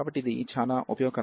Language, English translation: Telugu, So, this is going to be very useful